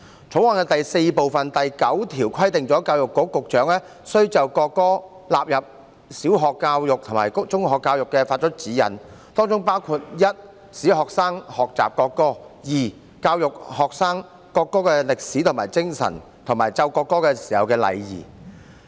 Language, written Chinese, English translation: Cantonese, 《條例草案》第4部第9條規定，教育局局長須就國歌納入小學教育及中學教育發出指引 ：1 使學生學習歌唱國歌 ；2 以教育學生國歌的歷史和精神，以及奏唱國歌的禮儀。, Clause 9 of Part 4 of the Bill stipulates that the Secretary for Education must give directions for the inclusion of the national anthem in primary education and in secondary education 1 to enable the students to learn to sing the national anthem; and 2 to educate the students on the history and spirit of the national anthem and on the etiquette for playing and singing the national anthem